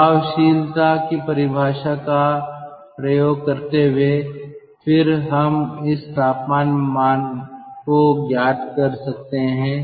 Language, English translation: Hindi, using the definition of effectiveness, ah, then we can get this